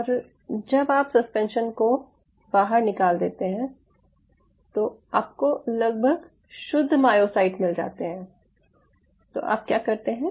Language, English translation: Hindi, ok, and you take out the suspension so you have the more or less the pure myocytes sitting out there